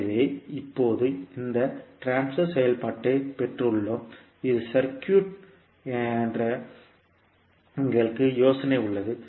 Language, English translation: Tamil, So now we have got this transfer function and we have the idea that this would be circuit